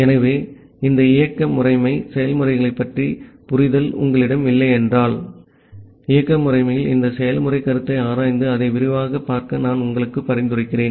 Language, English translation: Tamil, So, if you do not have a understanding of this operating system concept of processes, I will suggest you to look into this process concept in operating system and look into it in details